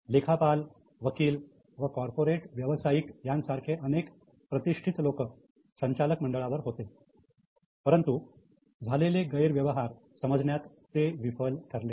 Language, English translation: Marathi, Several respectable people like accountants, lawyers or corporate professionals were on the board, but they failed to detect the malpractices